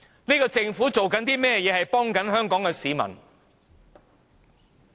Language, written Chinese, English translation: Cantonese, 這個政府做過甚麼幫助香港市民？, What has this Government done to help the Hong Kong people?